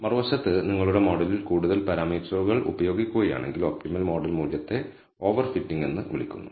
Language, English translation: Malayalam, On the other hand, if you use more parameters in your model, than the optimal model value is called over fitting